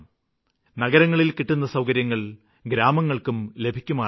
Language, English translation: Malayalam, The villages should be provided with all the facilities that are available in the cities